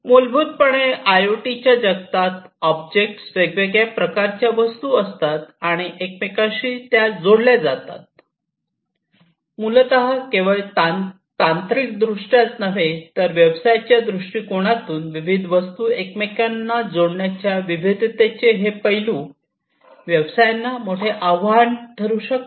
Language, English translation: Marathi, So, basically these different objects typically in the IoT world, they are you know they are of different types and they are interconnected together, so that basically also poses not only technically, but from a business perspective, this aspect of diversity of interconnecting different objects, it poses a huge challenge for the businesses